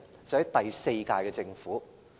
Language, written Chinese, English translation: Cantonese, 是第四屆政府。, The fourth - term Government